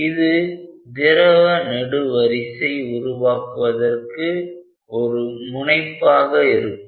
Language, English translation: Tamil, So, this is breaking up or kind of making of a liquid column